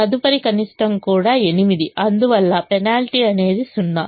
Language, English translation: Telugu, the next minimum is eight, so a penalty is two